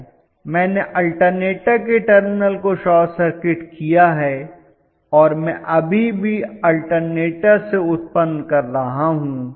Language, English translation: Hindi, I have short circuited the terminals of the alternator and I am still allowing the alternator to generate